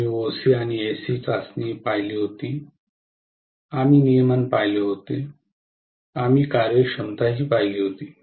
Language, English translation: Marathi, We had seen OC and SC test, we had seen regulation, we had seen efficiency